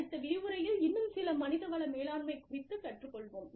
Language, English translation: Tamil, We will continue with, some more human resource learning, in the next session